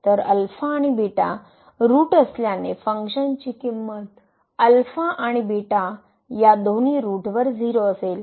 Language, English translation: Marathi, So, alpha and beta both are roots so, the function will be 0 at alpha and as well as at beta